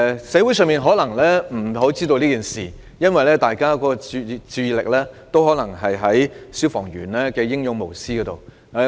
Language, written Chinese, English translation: Cantonese, 社會可能不太清楚此事，因為大家皆將注意力集中在消防員英勇無私的行為上。, The community might not be aware of this because peoples focus was on the bravery and selflessness of fire fighters